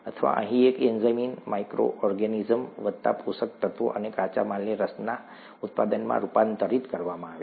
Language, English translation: Gujarati, Or an enzyme here, in the micro organism plus nutrients or an enzyme, and the raw material is converted into the product of interest